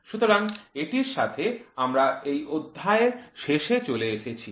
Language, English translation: Bengali, So, with this we come to an end to this chapter